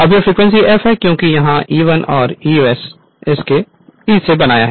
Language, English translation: Hindi, Now it is frequency is F because this is E1 this E1 this you have made it